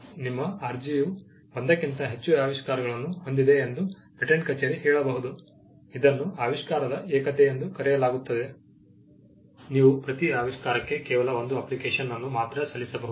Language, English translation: Kannada, The patent office may say that your application has more than one invention; this is called the unity of invention, that you can file only one application per invention